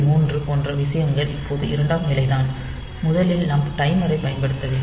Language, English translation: Tamil, 3 so, those things are secondary now first of all we have to use the timer